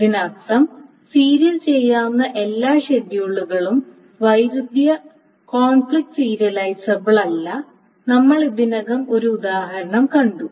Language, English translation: Malayalam, So that means that not every view serializable schedule is conflict serializable and we already saw an example